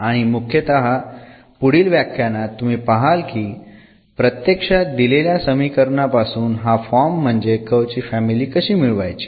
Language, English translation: Marathi, And mainly in this lectures upcoming lectures you will see actually how to find this from this given differential equation, how to get this family of curves